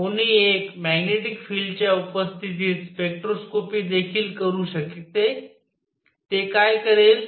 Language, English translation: Marathi, One could also do spectroscopy in presence of magnetic field what would that do